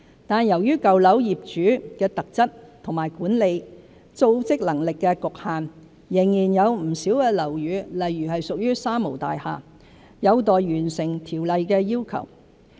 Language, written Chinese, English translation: Cantonese, 但由於舊樓業主的特質和管理、組織能力的局限，仍然有不少樓宇，例如屬"三無大廈"，有待完成《條例》的要求。, However owing to the characteristics of owners of old buildings and their limited management and organizational capabilities many buildings such as three - nil buildings have yet to comply with the requirements of the Ordinance